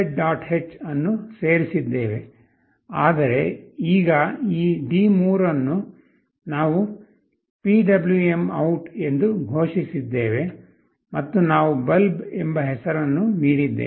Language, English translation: Kannada, h, but now this D3 we have declared as PwmOut and we have given the name “bulb”